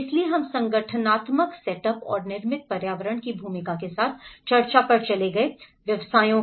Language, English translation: Hindi, So we moved on discussions with the organizational setup and the role of built environment professions